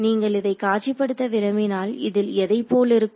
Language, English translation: Tamil, If you wanted to visualize this what does it look like